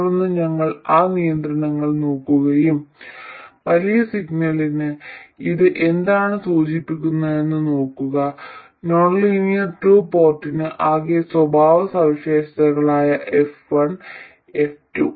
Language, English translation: Malayalam, Then we look at those constraints and see what it implies for the large signal, the total characteristics F1 and F2 of the nonlinear 2 code